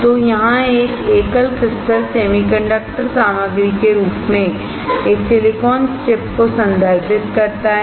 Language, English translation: Hindi, So, a single crystal here refers to a silicon chip as the semiconductor material